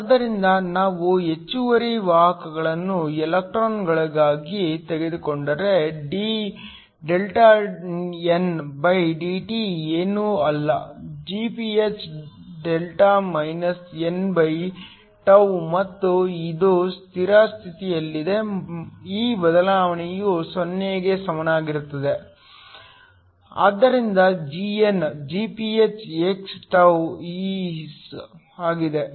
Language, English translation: Kannada, So, if we take the excess carriers to be electrons then dndt is nothing but Gph n and it is steady state this change is equal to 0, so Δn is Gph x τ